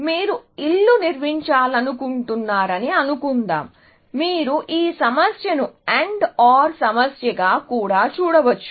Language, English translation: Telugu, Suppose, you want to construct a house, you can see this also, you can pose this problem also, as an AND OR problem